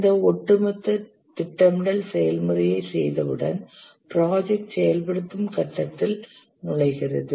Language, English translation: Tamil, Once having done this overall planning process, the project enters the execution phase